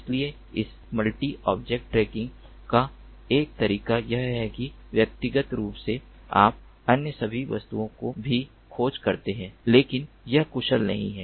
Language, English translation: Hindi, so this multi object tracking, one way is that individually you keep on tracking all the other objects as well, but that is not efficient